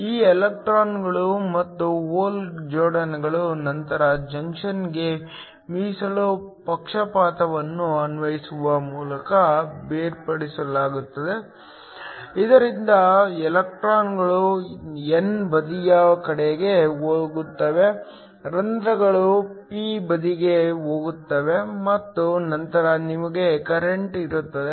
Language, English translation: Kannada, These electrons and hole pairs are then separated by applying a reserve bias to the junction, so that the electrons go towards the n side, holes go towards the p side and then you have a current